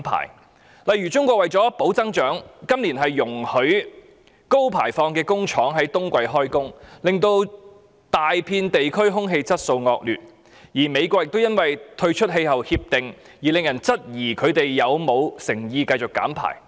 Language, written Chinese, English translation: Cantonese, 舉例而言，中國為了保持經濟增長，今年容許高排放的工廠在冬季工作，令到大片地區空氣質素惡劣，而美國亦因為退出全球應對氣候變化的《巴黎協定》，令人質疑其繼續減排的誠意。, For instance in order to sustain economic growth China allows factories with high emission to operate during winter this year resulting in poor air quality over a large area . The United States sincerity to reduce emission is called into doubt given its withdrawal from the Paris Agreement on the global efforts in addressing climate change